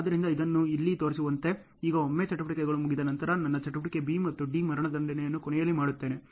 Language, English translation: Kannada, So, as it is shown here, now once the activities are done then I do my activity B and D execution in the end